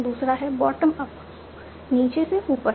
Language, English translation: Hindi, Other approach is bottom up